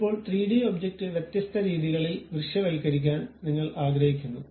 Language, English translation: Malayalam, Now, you would like to visualize this 3D object in different ways